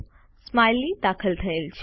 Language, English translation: Gujarati, A Smiley is inserted